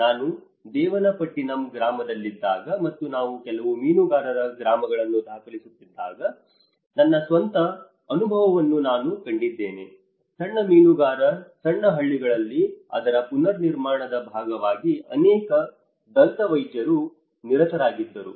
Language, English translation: Kannada, My own experience when I was in Devanampattinam village, and I was documenting a few fisherman villages, I have come across even many dentists is involved in the reconstruction part of it in the smaller fisherman Hamlets